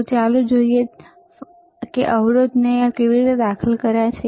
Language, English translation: Gujarati, So, let us see so, again let us see how he has inserted the resistors